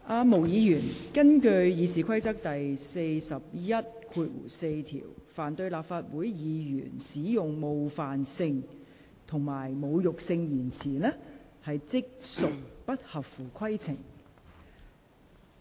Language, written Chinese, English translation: Cantonese, 毛議員，根據《議事規則》第414條，凡對立法會議員使用冒犯性及侮辱性言詞，即屬不合乎規程。, Ms MO according to RoP 414 it shall be out of order to use offensive and insulting language about Members of the Council